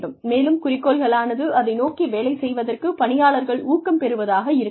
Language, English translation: Tamil, And, objectives should be such that, the employee is motivated to work towards them